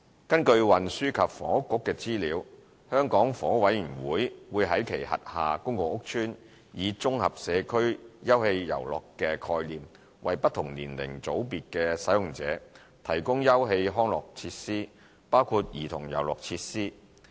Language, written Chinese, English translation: Cantonese, 根據運輸及房屋局的資料，香港房屋委員會會在其轄下公共屋邨，以"綜合社區休憩遊樂"的概念，為不同年齡組別的使用者提供休憩康樂設施，包括兒童遊樂設施。, According to information provided by the Transport and Housing Bureau the Hong Kong Housing Authority HA will provide recreational facilities for users of different age groups including childrens playground facilities in its public rental housing PRH estates under the concept of communal play areas